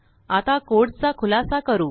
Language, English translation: Marathi, I will explain the code now